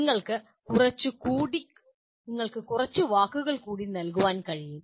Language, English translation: Malayalam, You can also coin some more words